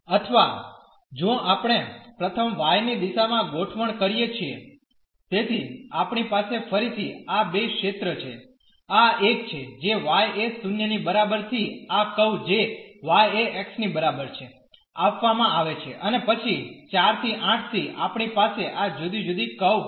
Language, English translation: Gujarati, Or, if we set in the direction of a y first; so, we have again these two regions one is this one which is from the entries from y is equal to 0 to this curve which is given by y is equal to x and then from 4 to 8 we have this different curve